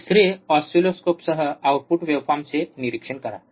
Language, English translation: Marathi, Third, with an oscilloscope observe the output waveform